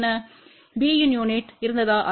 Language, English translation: Tamil, What was the unit of b